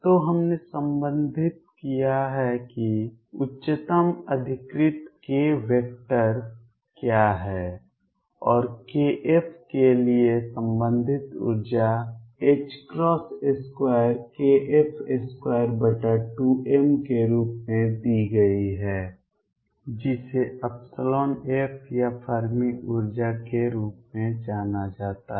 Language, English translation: Hindi, So, we have related what is the highest occupied k vector and the corresponding energy for k f is given as h crosses square k f square over 2 m which is known as the epsilon f of Fermi energy